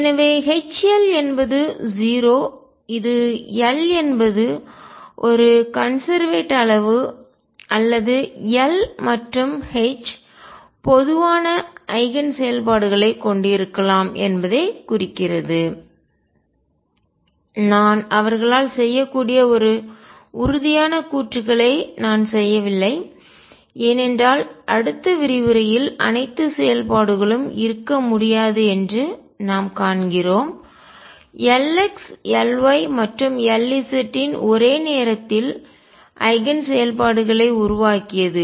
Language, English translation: Tamil, So, we conclude that H L is 0 which implies that L is a conserved quantity or L and H can have common eigen functions I am not making a very definitive statements that they do they can because we see in the next lecture that all functions cannot be made simultaneously eigen functions of L x, L y and L z